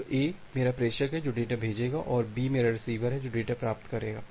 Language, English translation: Hindi, So, A is my sender who will send the data and B is my receiver who will receive the data